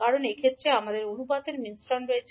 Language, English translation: Bengali, Because in this case we have a combination of ratios